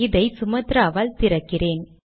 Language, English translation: Tamil, So let me just open this with Sumatra